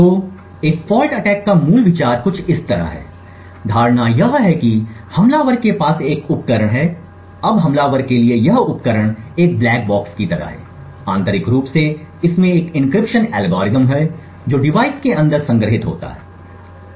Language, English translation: Hindi, So, the basic idea of a fault attack is something like this, the assumption is that the attacker has in position a device now this device for the attacker is like a black box internally it has an encryption algorithm which is stored inside the device